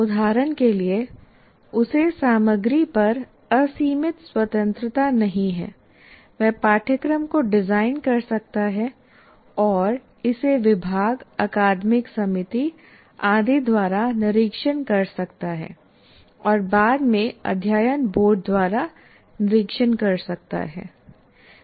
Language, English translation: Hindi, For example, if you take the content, though he doesn't have unlimited freedom, but he can design the course and have it vetted by the department academic committee or whatever that you have, and subsequently it will get vetted by what do you call board of studies